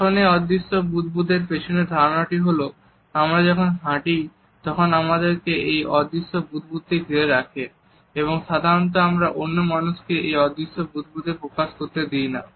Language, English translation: Bengali, Now, the idea behind this invisible bubble is that, when we walk we are surrounded by this invisible bubble and we normally do not allow people to encroach upon this invisible bubble